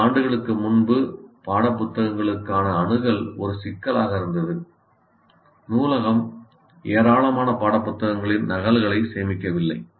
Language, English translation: Tamil, A few years ago access to textbooks was an issue unless library stores large number of copies